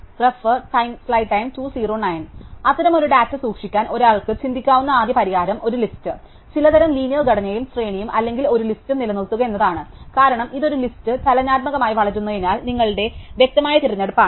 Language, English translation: Malayalam, So, the first solution that one could think of to keep such a data is to maintain a list, some kind of a linear structure and array or a list, since it is growing dynamically a list is your obvious choice